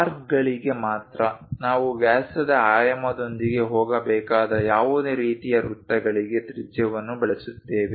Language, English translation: Kannada, Only for arcs, we use radius for any kind of circles we have to go with diameter dimensioning